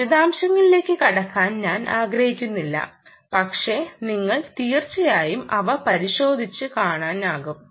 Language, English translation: Malayalam, well, i dont want to get into the detail, but ah, you could definitely look them up and see